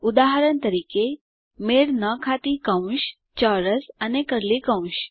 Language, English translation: Gujarati, For Example: Unmatched parentheses, square and curly braces